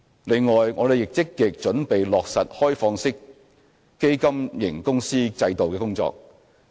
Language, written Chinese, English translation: Cantonese, 另外，我們亦正積極準備落實開放式基金型公司制度的工作。, Besides we are also working actively on the introduction of the open - ended fund company regime